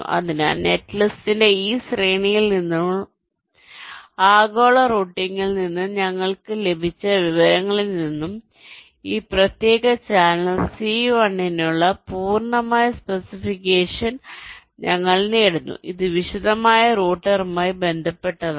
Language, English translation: Malayalam, so from this sequence of net list and the information we have obtained from global routing, we obtain the complete specification for c one, for this particular channel, c one, and this is with respect to detailed router